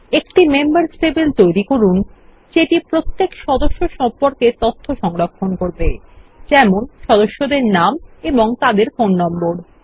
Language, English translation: Bengali, Create a Members table that will store information about each member, for example, member name, and phone number